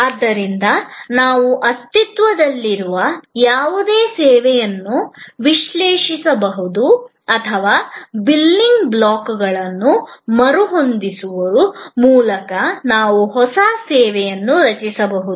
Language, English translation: Kannada, So, that we can analyze any existing service or we can create a new service by rearranging the building blocks